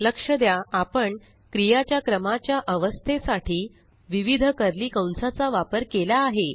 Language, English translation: Marathi, Notice that we have used various sets of curly brackets to state the order of operation